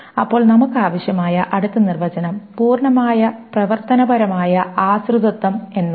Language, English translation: Malayalam, Then the next definition that we will require is something called a full functional dependency